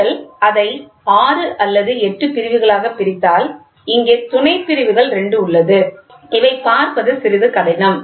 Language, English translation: Tamil, So, if you divide it into 6 or 8 divisions, so here the sub divisions will be 2 hard to you to see